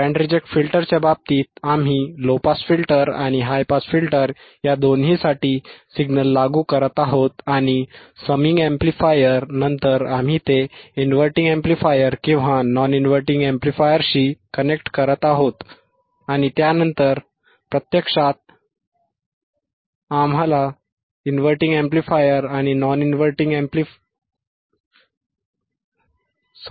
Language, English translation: Marathi, In case of the band reject filter, we are applying signal to low pass and high pass, both, right and then we are connecting it to the inverting amplifier or non inverting amplifier followed by a summer